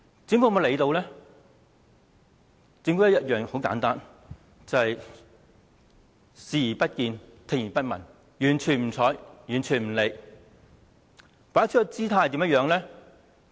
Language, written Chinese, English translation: Cantonese, 政府採取的方法很簡單，便是視而不見、聽而不聞，完全不理不睬。, The Government resorts to a simple approach in addressing the issues . It simply turns a blind eye and a deaf ear to all the issues and gives no responses